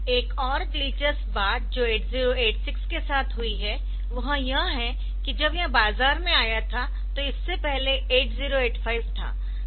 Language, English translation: Hindi, So, another the interesting thing that has happened with 8086 is that 8086 when it came to the market, so previously there was 8085